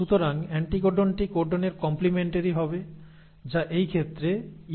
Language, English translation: Bengali, So the anticodon will be complimentary to the codon, which will, in this case will be UAC